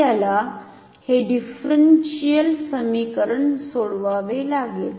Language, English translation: Marathi, We have to solve this differential equation